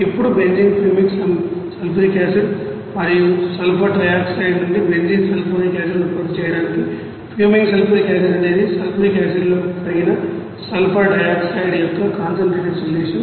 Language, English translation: Telugu, Now to produce a benzene sulphonic acid from benzene fuming sulfuric acid and sulfur trioxide are added, fuming sulfuric acid is a concentrated solution of dissolved sulfur dioxide in sulfuric acid